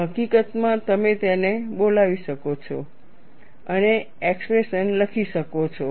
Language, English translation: Gujarati, In fact, you could invoke that and write an expression